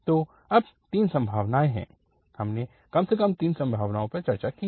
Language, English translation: Hindi, So, there are three possibilities now, at least three possibilities we have discussed